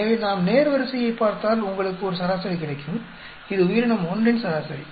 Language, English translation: Tamil, So, if we look at the row, you will get an average this is the average for organism 1